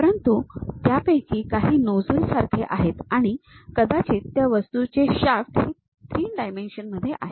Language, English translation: Marathi, But, some of them like nozzles and perhaps the shaft of that object these are three dimensional things